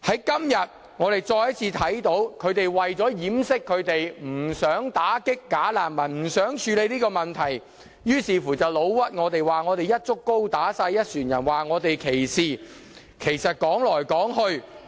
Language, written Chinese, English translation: Cantonese, 今天我們再次看到，他們為了掩飾不想打擊"假難民"，不想處理這問題的意圖，於是便誣陷我們，指我們"一竹篙打一船人"、歧視，但說來說去......, Today we can see once again that in order to cover up their unwillingness to combat bogus refugees and tackle the problem they have falsely accused us of tarring all claimants with the same brush and discriminating against them but no matter how they put it